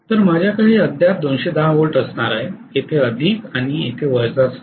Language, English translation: Marathi, So I am going to have this to be still 210 volts with plus here and minus here